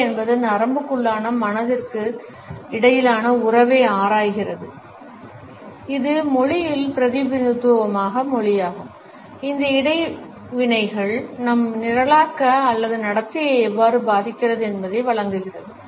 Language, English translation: Tamil, NLP delves into the relationship between the mind that is the neuro, the language which is the representation of linguistics offering how these interactions impact our programming or behaviour